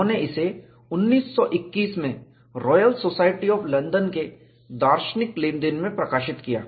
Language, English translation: Hindi, He published in 1921, in the Philosophical Transactions of the Royal Society of London